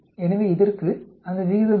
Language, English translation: Tamil, So for this, what is that ratio